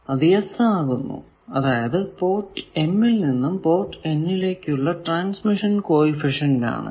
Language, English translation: Malayalam, So, it will be yes when it is transmission coefficient from port m to port n when all other ports are match terminated